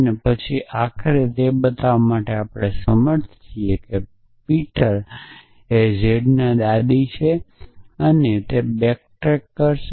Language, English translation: Gujarati, And then it would eventually with naught be able to show that Peter is a grandmother of z it would back track